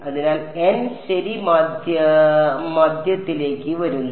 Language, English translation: Malayalam, So, the n comes to the middle alright